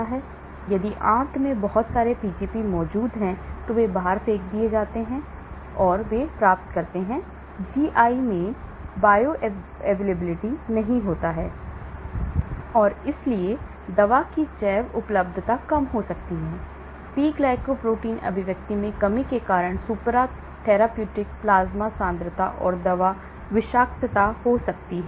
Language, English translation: Hindi, So, if there are a lot of Pgp present in the intestine, so they get thrown out, so they get; does not get absorbed into the GI and so bioavailability of the drug may be less, so supra therapeutic plasma concentrations and drug toxicity may result because of decreased P glycoprotein expression,